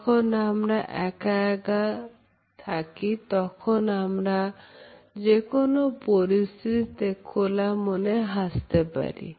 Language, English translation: Bengali, When we are alone we would smile in all these situations in a very happy manner